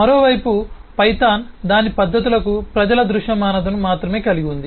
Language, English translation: Telugu, Python, on the other hand, has only eh public visibility for its methods